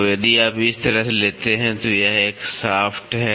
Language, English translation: Hindi, So, if you take as such this is a shaft